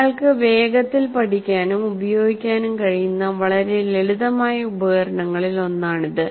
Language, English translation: Malayalam, And it's one of the very simple tools that one can quickly learn and use